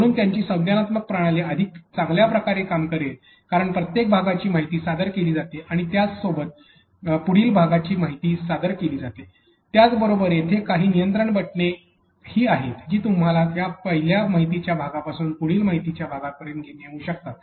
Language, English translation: Marathi, So, your cognitive system will work better because each piece is presented in with its information and it the next piece is also presented with its information, but at the same time they are also control buttons that allows you to be able to move from this particular first piece of information to the next piece of information